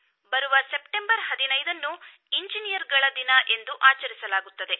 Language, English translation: Kannada, In his memory, 15th September is observed as Engineers Day